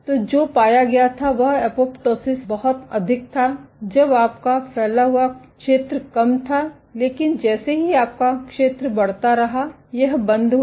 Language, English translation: Hindi, So, what was found was the apoptosis was very high when you are spread area was less, but it dropped off as soon as your area kept increasing